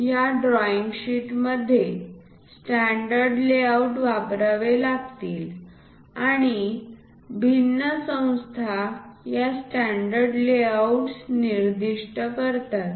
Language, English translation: Marathi, In this drawing sheet layout standard layouts has to be used and these standard layouts are basically specified by different organizations